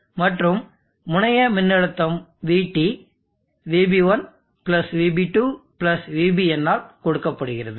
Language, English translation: Tamil, And the terminal voltage Vt is given by Vb1+Vb2+ so on to Vbn